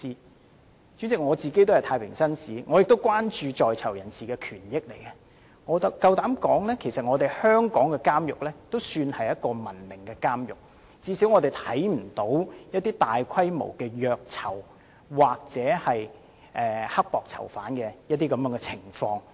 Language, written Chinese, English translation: Cantonese, 代理主席，我身為太平紳士，也關注到在囚人士的權益，我敢說，其實香港的監獄管理已是相當文明的了，至少從未發生過大規模的虐囚或苛待囚犯的情況。, Deputy Chairman as a Justice of the Peace I do have concerns about the rights and interests of prison inmates . I dare say that as a matter of fact Hong Kong has adopted a civilized approach in prison management . At least widespread torture or harsh treatment of prison inmates has never occurred here in Hong Kong